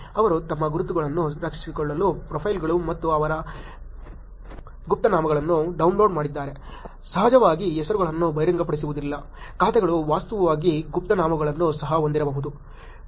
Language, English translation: Kannada, They downloaded the profiles and the pseudonyms of their, to protect their identities, of course the names were not going to be revealed, the accounts may actually have pseudonyms also